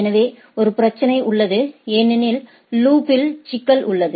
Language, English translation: Tamil, So, there is a problem because there is a issue of loop right